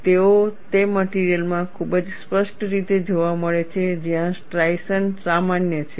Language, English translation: Gujarati, We have very clearly seen, in those materials where striations are common